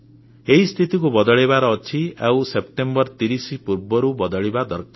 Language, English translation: Odia, And this has to change before 30th September